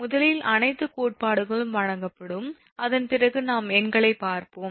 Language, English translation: Tamil, first, all that theories will be given, after that we will see the ah numericals